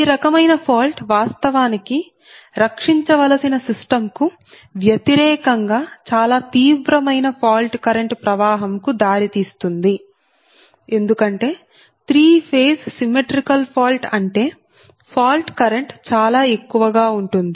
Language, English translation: Telugu, this type of fault actually gene leads to most severe fault current flow against which the system must be protected, because three phase symmetrical fault means the fault current will be too high, right